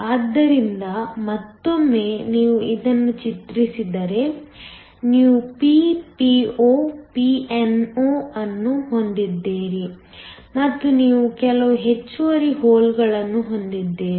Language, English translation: Kannada, So once again if you draw this, so that you have Ppo Pno and you have some extra holes